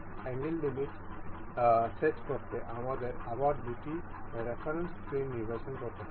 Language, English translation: Bengali, To set angle limits, we have to again select two reference planes